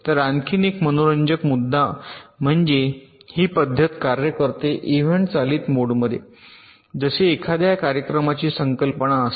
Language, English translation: Marathi, so there is another interesting point is that this method works in even driven mode, like there is a concept of a event